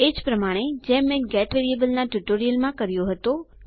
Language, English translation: Gujarati, The same one that I have done in my get variable tutorial